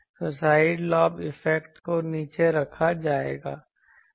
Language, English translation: Hindi, So, side lobes in effect will be kept below